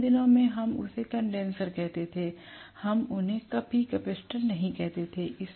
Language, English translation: Hindi, In older days we used to call them as condenser, we never used to call them as capacitor